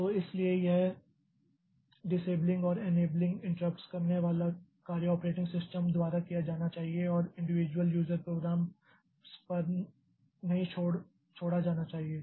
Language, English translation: Hindi, So, that is why this disable and disabling and enabling interrupts must be done by the operating system and not left to the individual user programs